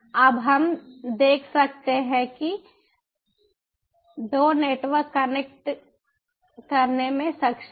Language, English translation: Hindi, so right now we can see that the two networks are able to connect